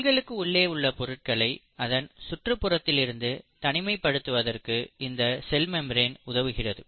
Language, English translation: Tamil, The cell membrane helps in segregating the internal content of the cell from the outer environment